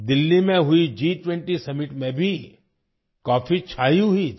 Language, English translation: Hindi, The coffee was also a hit at the G 20 summit held in Delhi